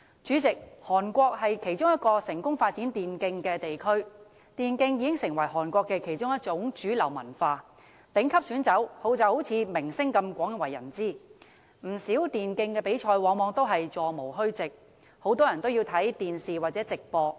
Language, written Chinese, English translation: Cantonese, 主席，韓國是其中一個成功發展電競的地區，電競已經成為韓國的其中一種主流文化，頂級選手就像明星般廣為人知，不少電競比賽往往座無虛席，很多人都要收看電視或網絡直播。, President South Korea is one of the places where e - sports has been successfully developed . E - sports has become a mainstream culture in South Korea and top gamers are as famous as movie stars . Quite a number of e - sports tournaments often draw full houses and many people have to watch the live broadcasts on television or the Internet